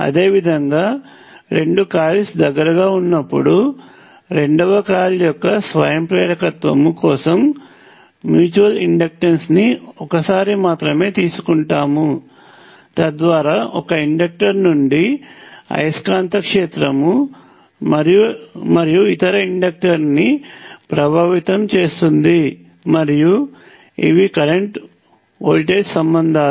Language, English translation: Telugu, Similarly for the self inductance of the second coil is mutual inductance appears only one you bring these two coils together, so that the magnetic field from one inductor and influences the other inductor, and these are the current, voltage relationships